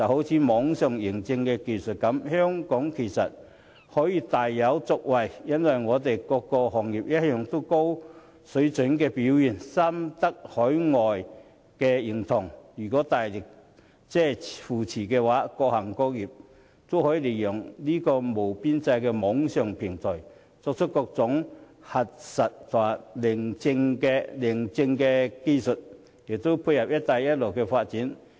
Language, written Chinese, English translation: Cantonese, 以網上認證技術為例，香港其實大有可為，因為本港各行各業一貫的高水準表現深得海外認同，如有政府大力扶持，各行各業均可利用無邊際的網上平台以各種核實或認證技術提供服務，亦可配合"一帶一路"的發展。, Take for example online authentication . There is indeed much room for development in Hong Kong as the high standards of performance of various trades and industries in Hong Kong have gained worldwide recognition . With strong support from the Government various trades and industries can make use of the boundless online platform to provide different services with the aid of verification or authentication technology and support the development of the Belt and Road Initiative